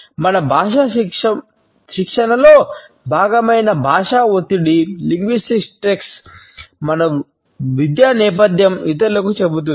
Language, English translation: Telugu, The linguistic stress, which is a part of our language training, tells the other people about our educational background, the social class